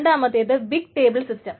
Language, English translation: Malayalam, The second is the big table systems